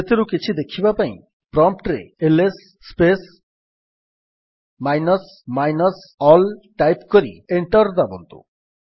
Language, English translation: Odia, Let us see some of them, type at the prompt: ls space minus minus all and press Enter